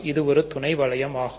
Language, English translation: Tamil, So, it is a sub ring